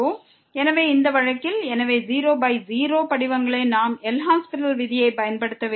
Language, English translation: Tamil, So, in this case, so 0 by 0 forms we have to use the L’Hospital’s rule